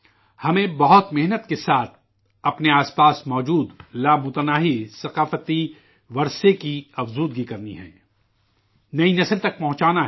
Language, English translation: Urdu, We have to work really hard to enrich the immense cultural heritage around us, for it to be passed on tothe new generation